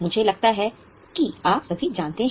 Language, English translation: Hindi, I think examples you are all aware